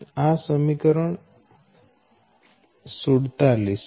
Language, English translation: Gujarati, this is equation forty seven